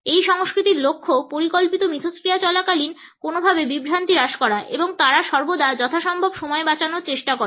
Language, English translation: Bengali, The focus in these cultures is somehow to reduce distractions during plant interactions and they always try to save time as much as possible